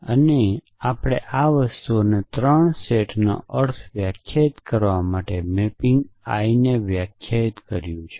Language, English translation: Gujarati, So, we said that we defined a mapping I to define the meaning of these 3 sets these things essentially